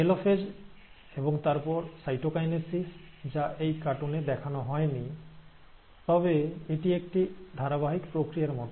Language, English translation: Bengali, And, by the telophase, and then, followed by cytokinesis, which have not shown in this cartoon, but it is like a continuous process